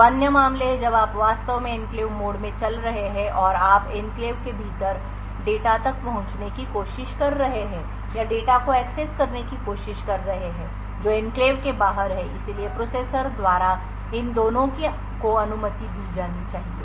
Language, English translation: Hindi, The two other cases are when you are actually running in the enclave mode and you are trying to access data within the enclave or trying to access data which is outside the enclave so both of this should be permitted by the processor